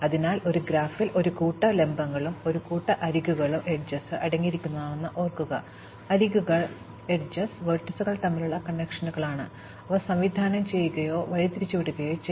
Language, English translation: Malayalam, So, recall that a graph consists of a set of vertices and a set of edges, the edges are the connections between the vertices, they may be directed or undirected